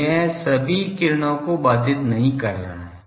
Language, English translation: Hindi, So, it is not intercepting all the rays